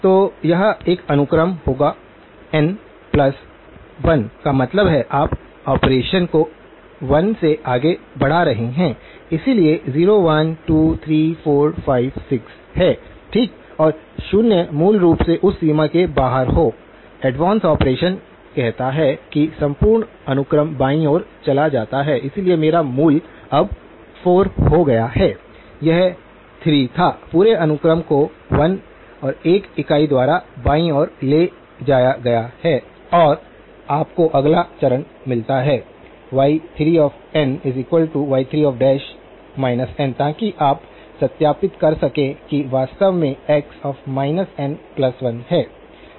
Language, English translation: Hindi, So, this will be a sequence n plus 1 means, you are advancing the operation by 1 so, 0, 1, 2, 3, 4, 5, 6, okay and zeroes be outside of that range basically, the advance operation says that the entire sequence moves to the left, so my the origin now becomes 4 from originally, it was a 3, the whole sequence has moved by 1 unit to the left and then the next step you get is y3 of n is y3 dash of minus n, so that you can verify is actually x of minus n plus 1